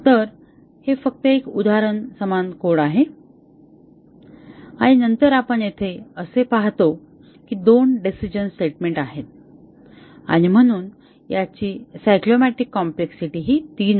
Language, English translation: Marathi, So, this is just an example the same example code and then we see here that there are two decision statements and therefore, it is cyclomatic complexity is 3